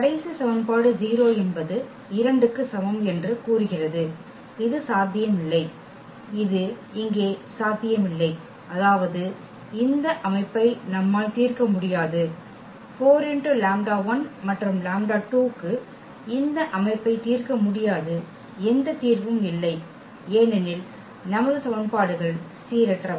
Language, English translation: Tamil, The last equation says that 0 is equal to 2 which is not possible which is not possible here; that means, we cannot solve this system we cannot solve this system for 4 lambda 1 and lambda 2 there is no solution because our equations are inconsistent